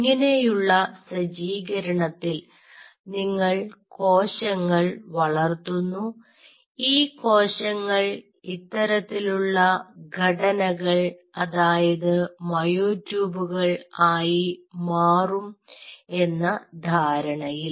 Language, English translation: Malayalam, now, on this setup, you grow the cells, assuming that they will form structures like this, which are the myotubes